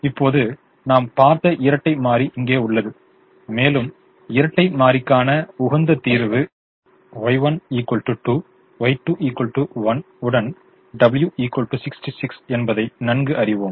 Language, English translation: Tamil, now here is the dual which we have seen, and we know that the optimum solution to the dual is y one equal to two, y to equal to one, with w equal to sixty six